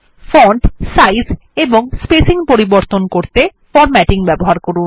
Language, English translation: Bengali, Use formatting to change the fonts, sizes and the spacing